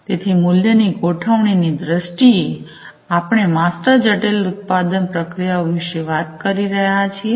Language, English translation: Gujarati, So, in terms of the value configuration, we are talking about master complex production processes